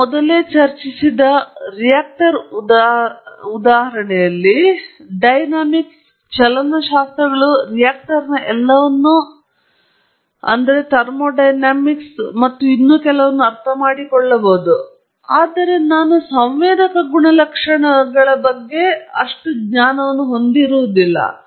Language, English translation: Kannada, For example, the reactor in the example that we discussed earlier, I may understand the dynamics, the kinetics, everything in the reactor, the thermodynamics and so on, but I may have poor knowledge of the sensor characteristics